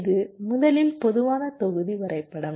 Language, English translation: Tamil, this is the general block diagram